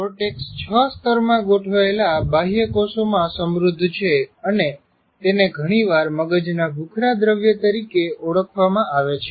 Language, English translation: Gujarati, And the cortex is rich in cells arranged in six layers and is often referred to as a brain's gray matter